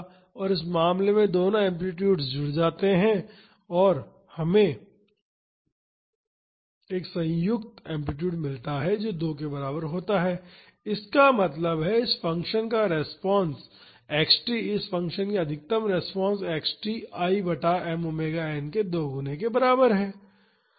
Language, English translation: Hindi, And, in this case both the amplitudes add up and we get a combined amplitude is equal to 2; that means, the response of this function x t, the maximum response of this function x t is equal to twice I by m omega n